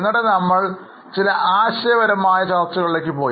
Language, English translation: Malayalam, Then we went to some conceptual discussion